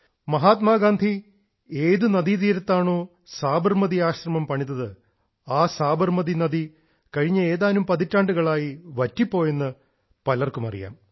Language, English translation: Malayalam, Many of you might be aware that on the very banks of river Sabarmati, Mahatma Gandhi set up the Sabarmati Ashram…during the last few decades, the river had dried up